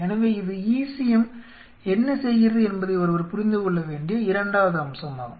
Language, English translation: Tamil, This is second aspect what one has to understand that what the ECM does